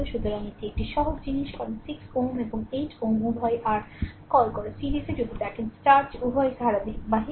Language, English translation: Bengali, So, this is a simple thing right because 6 ohm and 8 ohm both are in your what you call your series, if you look into that both are in series